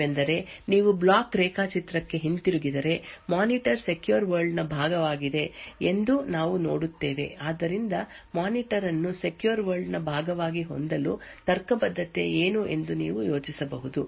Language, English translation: Kannada, Another thing to think about is if you go back to the block diagram we see that the monitor is part of the secure world so could you think about what is the rational for having the monitor as part of the secure world